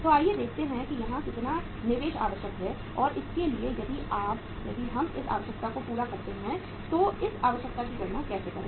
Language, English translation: Hindi, So let us see how much investment is required here and for this if we work out this requirement so how to calculate this requirement